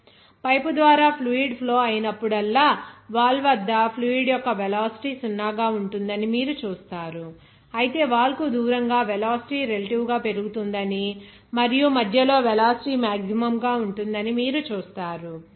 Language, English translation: Telugu, Whenever fluid is flowing through the pipe, you will see that velocity of the fluid at the wall will be zero, whereas away from the wall you will see that velocity relatively will increase and at the center, the velocity will be maximum